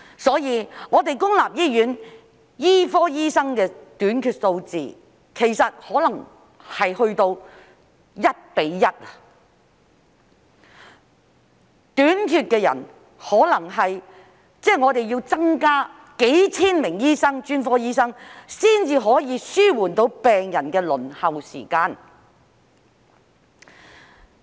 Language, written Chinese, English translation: Cantonese, 所以，我們公立醫院專科醫生的短缺數字其實可能達至 1：1， 即是公立醫院要增加數千名專科醫生才可以紓緩病人的輪候時間。, Therefore the shortage of specialist doctors in our public hospitals could be as high as 1col1 which means that thousands of specialist doctors will have to be added to public hospitals in order to ease the waiting time of patients